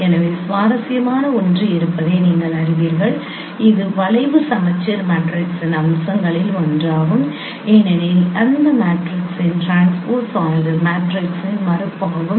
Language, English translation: Tamil, So that is no that is one of the interesting property that is one of the feature of the skew symmetric matrix as the transpose of that matrix is a negation of the matrix so if we add the transpose you should get 0